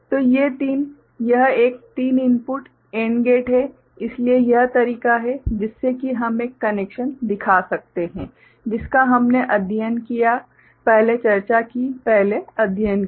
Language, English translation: Hindi, So, these three, so this is a three input AND gate, so this is the way also we can you know show a connection which we studied, discussed before, studied before ok